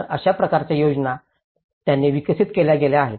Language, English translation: Marathi, So, this is the kind of schemes which they have developed